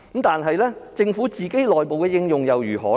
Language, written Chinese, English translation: Cantonese, 但是，政府內部的應用又如何呢？, However what about application of science and technology within the Government?